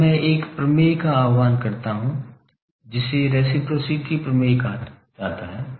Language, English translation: Hindi, Now, I invoke a theorem called reciprocity theorem